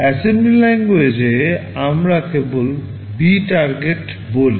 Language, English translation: Bengali, In assembly language we just say B Target